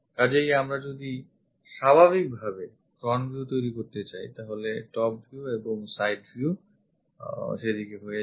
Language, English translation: Bengali, So, if we are constructing naturally the front view, top view and side view becomes in that way